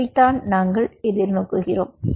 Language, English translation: Tamil, this is what we are kind of looking forward to